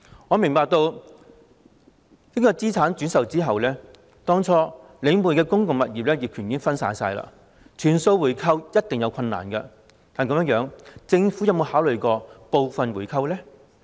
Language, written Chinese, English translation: Cantonese, 我明白，資產轉售後領匯當初的公共物業業權已經分散，全數回購有一定難度，但政府有否考慮部分回購呢？, I understand that after the resale of the assets the ownership of these public properties originally divested to Link REIT has become fragmented and there is certain difficulty in buying back all of these assets . But has the Government considered buying them back partially?